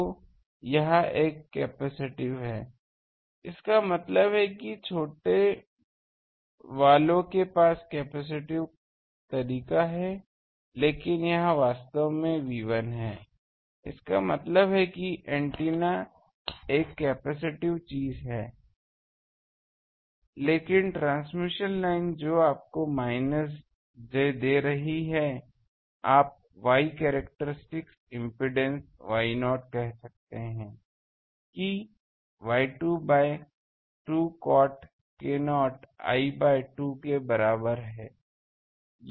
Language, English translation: Hindi, So, it is a capacitive; that means, smaller ones we have a capacitive way thing but this is actually Y 1; that means, antennas thing it has a capacitive thing but the transmission line that is giving you minus j, you can say Y characteristic impedance Y not that am taking Y 2 by 2 cot k not l by 2